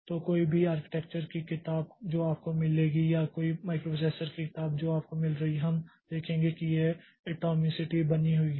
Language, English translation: Hindi, So, any, any architecture book that you will find or any microprocessor book that you will find, you will see that this atomicity is maintained